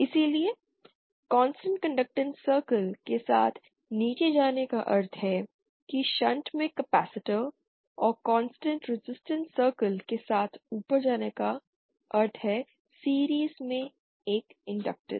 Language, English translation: Hindi, So going down along a constant conductance circle means a capacitor in shunt and going up along a constant resistance circle means an inductor in series so that’s what we have here